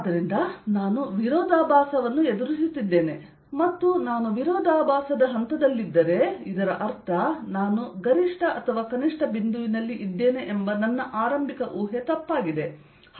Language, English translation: Kannada, and if i am in a contradictory stage that means my initial assumption that either i am at maximum or minimum is wrong